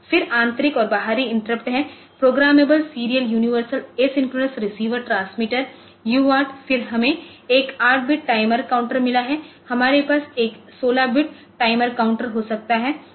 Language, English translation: Hindi, Then internal and external interrupts the interrupts are their programmable serial universal a synchronous receiver transmitter the UART, then we have got one 8 bit timer counter then we can have one 16 bit timer counter